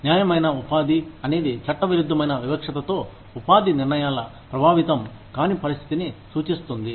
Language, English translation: Telugu, Fair employment refers to, any situation in which, employment decisions are not affected, by illegal discrimination